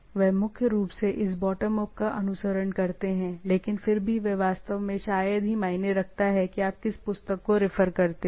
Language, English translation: Hindi, There are bottom up they primarily follow this bottom up, but nevertheless it really hardly matters that which book you refer